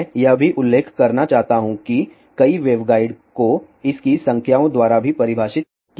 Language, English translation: Hindi, I have also want to mention that my waveguide are also mentioned defined by its numbers